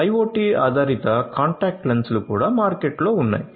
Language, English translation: Telugu, IoT based contact lenses are also there in the market